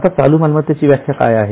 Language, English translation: Marathi, Now, what is the definition of current asset